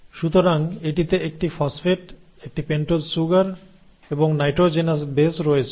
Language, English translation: Bengali, So it has a phosphate, a pentose sugar and the nitrogenous base